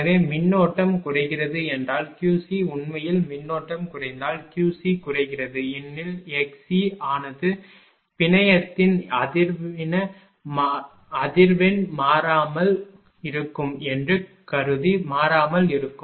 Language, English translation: Tamil, So, if the current is decreasing that Q c actually if current is decreasing Q c decreasing, because x c remain constant assuming that the frequency of the network remains constant